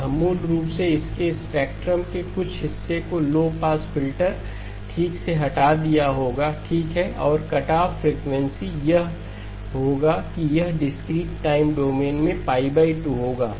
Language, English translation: Hindi, It will basically some portion of its spectrum would have been removed by the low pass filter okay and the cutoff frequencies would be it would have been pi by 2 in the discrete time domain